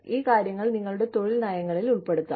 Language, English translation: Malayalam, You can build, these things into your employment policies